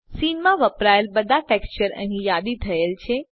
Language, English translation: Gujarati, All textures used in the Scene are listed here